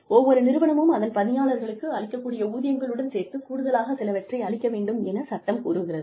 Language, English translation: Tamil, Law mandates that, every organization provides, some things for its employees, in addition to the salary, they are giving their employees